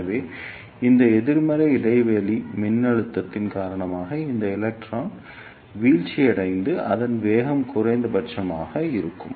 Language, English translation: Tamil, So, because of this negative gap voltage, this electron will be decelerated and its velocity will be minimum